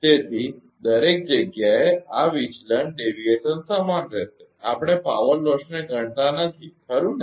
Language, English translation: Gujarati, So, everywhere this deviation will remain same, we are not considering the power loss right